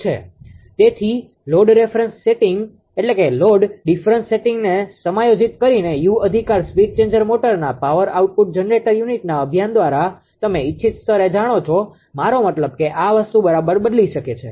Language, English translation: Gujarati, So, therefore, by adjusting the load difference setting that U right, through actuation of the speed changer motor the power output generator unit at, it you know at a desired level I mean this thing can be changed right